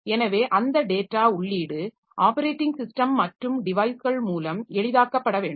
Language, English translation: Tamil, So that data entry should be facilitated by means of operating system and the devices